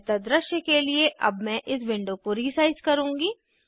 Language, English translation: Hindi, I will resize the window